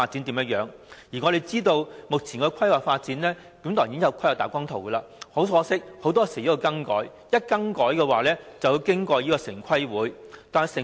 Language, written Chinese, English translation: Cantonese, 我們知道，目前已有規劃大綱圖，很可惜，很多時候會作出更改，而更改便要經城市規劃委員會審核。, We know that there is an Outline Zoning Plan but changes will often be made and such changes have to be approved by the Town Planning Board TPB